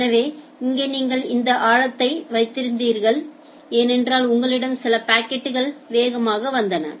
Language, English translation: Tamil, So, here you had this deep because you had certain packets which came faster